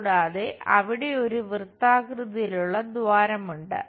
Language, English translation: Malayalam, And there is a whole circular hole